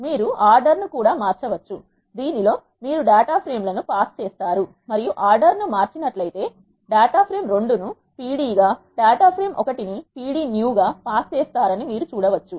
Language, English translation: Telugu, You can change the order, in which you pass the data frames and you can see that, if you change the order, you pass the data frame one has pd new and data frame 2 as pd